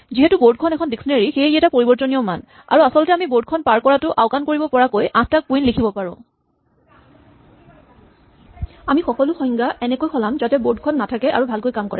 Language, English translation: Assamese, Since board is a dictionary, it is a mutable value and in fact we can write 8 queens in such a way that we just ignore passing the board around, we change all the definitions so that board does not occur and works fine